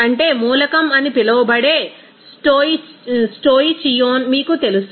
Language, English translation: Telugu, That is, you know stoicheion that is called the element